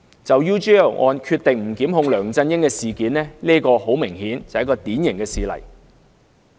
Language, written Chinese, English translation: Cantonese, 就 UGL 案不檢控梁振英的決定很明顯是個典型事例。, The decision not to prosecute LEUNG Chun - ying in the UGL case is obviously a typical example